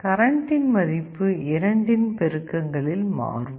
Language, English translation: Tamil, The current values will be changing in multiples of 2